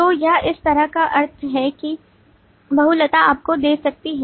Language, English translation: Hindi, So that is the kind of meaning that the multiplicity can give you